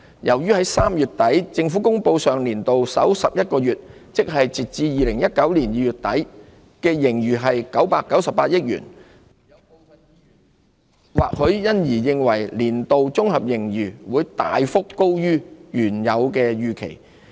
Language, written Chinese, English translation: Cantonese, 由於3月底政府公布上年度首11個月，即截至2019年2月底的盈餘為998億元，或許因而予人年度綜合盈餘會大幅高於原有預期之感。, Since the Government announced at the end of March that there was a surplus of 99.8 billion for the first 11 months―as at end of February 2019―of the previous financial year it might give people the impression that the annual consolidated surplus would exceed the original estimate by a wide margin